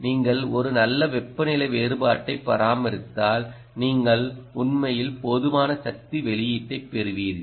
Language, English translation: Tamil, if you maintain a good temperature differential ah, you will actually get sufficiently good power output